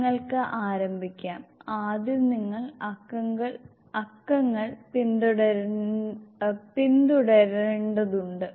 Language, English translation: Malayalam, Maybe you can start ,first you have to follow the numbers